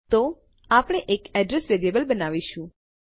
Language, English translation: Gujarati, So, we will create an address variable